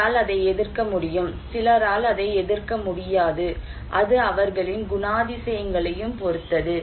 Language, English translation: Tamil, Somebody can resist that one, somebody cannot resist that one, it depends on their characteristics also